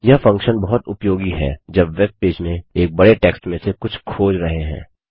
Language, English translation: Hindi, This function is very useful when searching through large text on a webpage